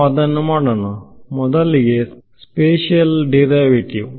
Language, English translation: Kannada, So, let us do that; so, first is the spatial derivative